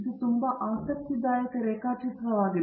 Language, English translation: Kannada, This is a very interesting diagram